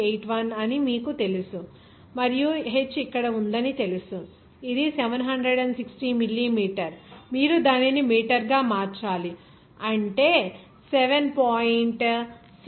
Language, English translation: Telugu, 81 and you know that h is here, it is 766 millimeter, you have to convert it to meter, that means what is that seven pint six zero 7